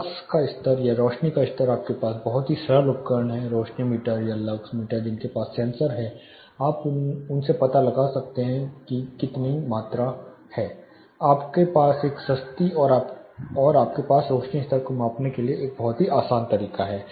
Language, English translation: Hindi, Lux levels or illuminance level you have very simple devices, illuminance meters are lux meters they have sensor you put them out they will be able to lock their you know more in expensive rather for you know you have a very easy way measuring illuminance level